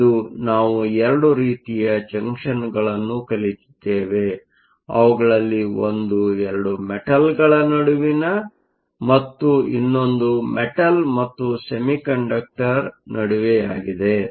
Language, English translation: Kannada, So, today we have seen 2 types of junctions; one between 2 metals and the other between a metal and a semiconductor